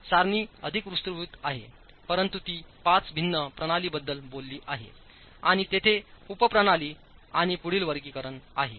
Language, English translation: Marathi, The table is much more elaborate, but it talks about five different systems and there are subsystems and further classifications